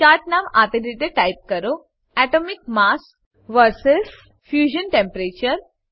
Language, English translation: Gujarati, Type name of the chart as, Atomic mass Vs Fusion temperature